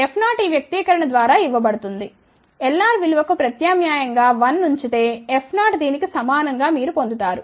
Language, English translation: Telugu, F 0 is given by this expression substitute the value of L r 1 you will get F 0 equal to this